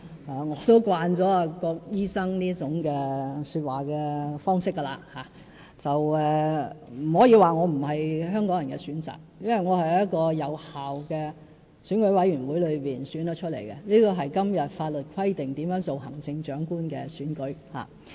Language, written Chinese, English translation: Cantonese, 我也習慣了郭醫生這種說話方式，但不可以說我不是香港人的選擇，因為我是由一個有效的選舉委員會選出，是按照今天法律規定的行政長官產生辦法而當選。, I am already used to Dr KWOKs way of speaking . But he must not say that I am not Hong Kong peoples choice because I am returned by a valid Election Committee in compliance with the method for selecting the Chief Executive under the law